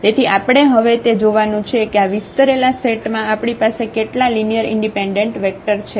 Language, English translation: Gujarati, So, we have to see now how many linearly independent vectors we have in this spanning set